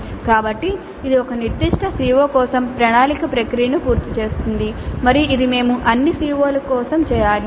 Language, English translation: Telugu, So this completes the plan process for a particular CO and this we must do for all COs